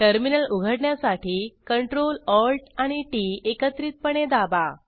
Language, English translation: Marathi, Open the terminal by pressing Ctrl, Alt and T keys simultaneously